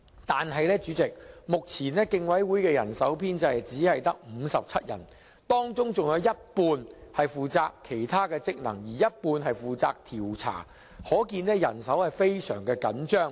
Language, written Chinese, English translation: Cantonese, 可是，代理主席，競委會目前的人手編制只有57人，當中更有一半人手負責其他職能，另一半負責調查，可見人手非常緊張。, But Deputy President there are only 57 staff members under the Commissions existing establishment . Half of them are responsible for other functions and the other half are tasked to conduct investigation . It can be seen that their manpower is very tight